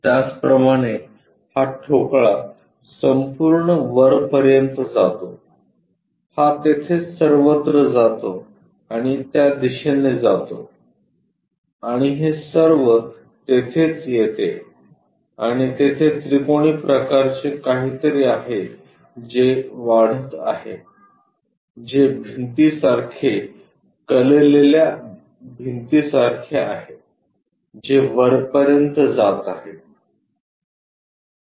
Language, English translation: Marathi, Similarly this block goes all the way up, this comes all the way there and goes via in that direction and this comes all the way there and there is something like a triangular kind of portion which is increasing is more like a wall inclined wall which is going all the way up